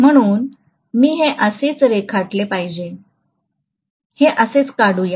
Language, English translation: Marathi, So I should draw it as though, let me draw it like this, something like this